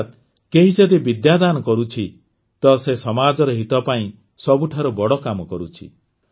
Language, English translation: Odia, That is, if someone is donating knowledge, then he is doing the noblest work in the interest of the society